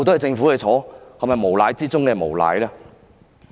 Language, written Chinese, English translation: Cantonese, 這難道不是無賴之中的無賴嗎？, Is this not the conduct of a consummate rascal?